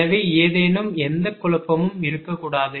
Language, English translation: Tamil, so there should not be any confusion